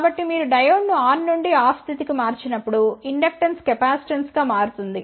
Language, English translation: Telugu, So, when you switch the diode from on to off state so, what will happen inductance will become capacitance